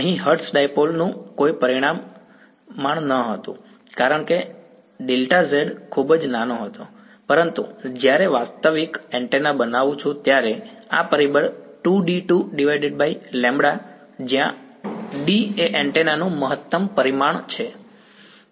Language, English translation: Gujarati, This approximation here the hertz dipole itself had no dimension because delta z was very small, but when I make a realistic antenna a rule of thumb is this factor 2 D squared by lambda where D is the max dimension of the antenna